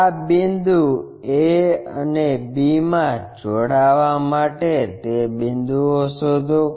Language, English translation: Gujarati, Locate this point b and a to b join it